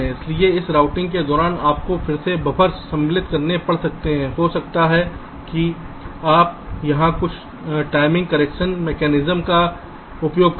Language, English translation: Hindi, so during this routing you may have to again insert buffers, you may have carryout some timing correction mechanisms here